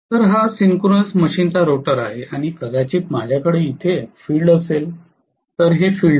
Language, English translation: Marathi, So this is the rotor of the synchronous machine and maybe I have the field here, this is the field